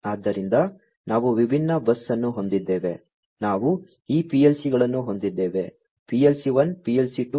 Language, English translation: Kannada, So, we have different bus, we have these PLCs PLC 1, PLC 2, etcetera